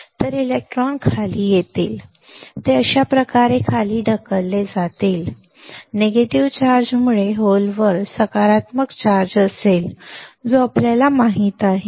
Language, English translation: Marathi, So, electrons will come down, it will be pushed down like this and because of a negative charge is there holes will have positive charge that we know